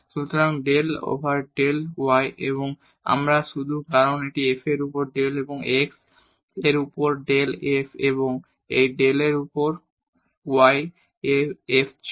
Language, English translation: Bengali, So, del over del y and we have just because this was del over del x on f and this del over del y on f